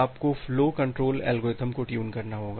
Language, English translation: Hindi, You have to tune the flow control algorithm